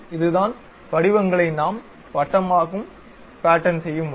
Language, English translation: Tamil, This is the way we repeat the patterns in circular way